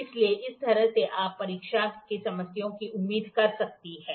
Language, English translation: Hindi, So, like this you can expect problems in the examination